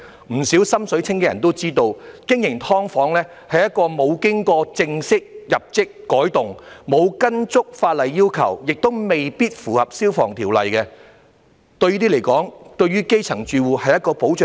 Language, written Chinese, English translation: Cantonese, 不少"心水清"的人也知道，經營"劏房"是沒有正式遞交圖則申請作出改動，沒有依足法例要求，亦未必符合《消防條例》的，這些對基層住戶是保障嗎？, Many clear - headed people know that no application for alteration with formal submission of plans is made for the operation of SDUs . While it does not fully comply with the legal requirements it might not necessarily comply with the Fire Services Ordinance as well . Are these protection for the grass - roots households?